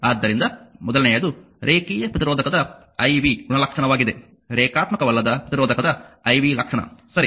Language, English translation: Kannada, So, this is the iv characteristic of a linear resistor the first one iv characteristic of a non linear resistor, right